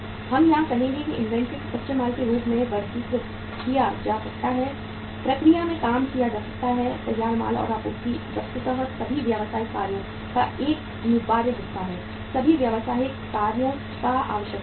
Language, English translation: Hindi, We would say here is that inventory is which may be classified as raw material, work in process, finished goods and supplies are an essential part of virtually all business operations, essential part of all business operations